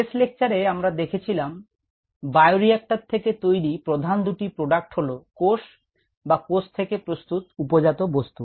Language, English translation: Bengali, in the last lecture we saw that the two major products from a bioreactor could be the cells themselves, are the products that are produced by the cell